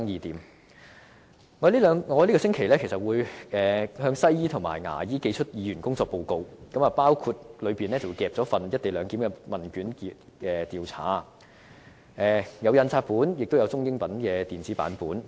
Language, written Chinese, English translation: Cantonese, 我會在這個星期向西醫和牙醫寄出議員工作報告，當中包括一份"一地兩檢"的問卷調查，有印刷本亦有中英文電子版本。, This week I will send my working report to my fellow doctors and dentists . It will contain a questionnaire on the co - location arrangement which is available in ChineseEnglish printed and electronic versions